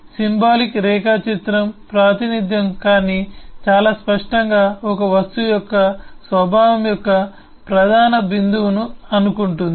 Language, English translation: Telugu, a symbolic eh diagram, a representation, but very clearly thinks our the core point of the nature of an object